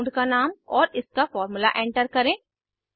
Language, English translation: Hindi, Lets enter name of the compound and its formula